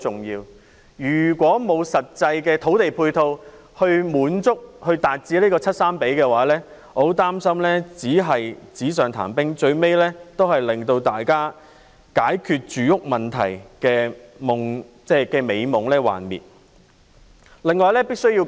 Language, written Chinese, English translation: Cantonese, 如果沒有實際土地配套來達致 7：3 的比例，我很擔心只是紙上談兵，最終令成功解決住屋問題的美夢幻滅。, Without the actual land supply for realizing the 7col3 split I am very worried that this target will remain on paper only shattering the good dream of successfully resolving the housing problem in the end